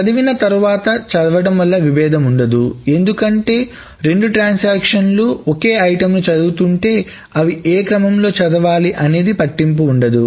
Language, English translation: Telugu, There is no read after read conflict because if there are two transactions that are reading the same item, the X, it doesn't matter in which order they read